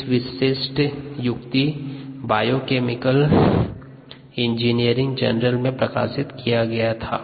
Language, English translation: Hindi, it was published in biochemical engineering journal